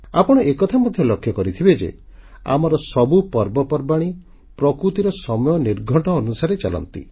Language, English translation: Odia, You would have noticed, that all our festivals follow the almanac of nature